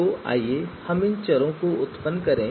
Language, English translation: Hindi, So let us you know generate these variables as well